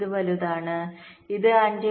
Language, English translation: Malayalam, this is larger